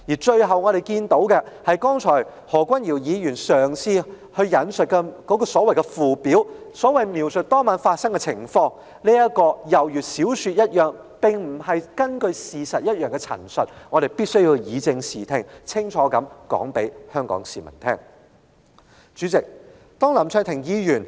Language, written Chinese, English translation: Cantonese, 最後，我們注意到，何君堯議員剛才所引述描述當晚事件始末的附表便猶如小說情節般，當中載有沒有事實根據的陳述，我們必須清楚告訴香港市民，以正視聽。, Finally as we have noticed the Schedule setting out a chronology of the events that night as quoted by Dr Junius HO just now is fictional as it contains statements that are stripped of any factual basis . We must offer a clear clarification to Hong Kong people to dispel their confusion